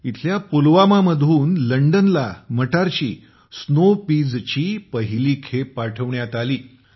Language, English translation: Marathi, The first consignment of snow peas was sent to London from Pulwama here